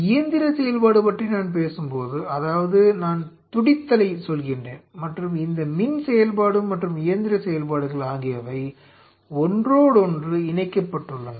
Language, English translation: Tamil, When I talk about mechanical function; that means, what I does telling is the beating and this electrical function and the mechanical functions are coupled with each other